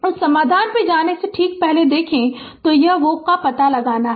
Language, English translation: Hindi, Look ah ah just before going to that solution, so this is we have to find out Voc